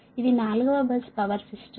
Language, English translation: Telugu, this is a four bus power system, right